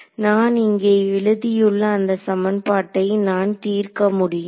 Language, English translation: Tamil, This equation that I have written over here